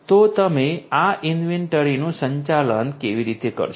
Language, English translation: Gujarati, So, how you are going to manage this inventory